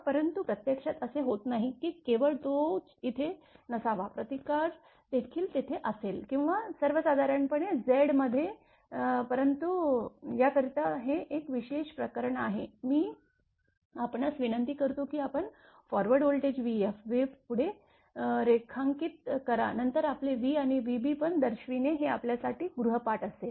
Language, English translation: Marathi, But in reality it does not happen that only x should not be there that resistance also will be there or in general Z, but this is a special case for this one I will request you that you will draw the voltage wave forward v f then your v and showing also the v b right this will be an exercise for you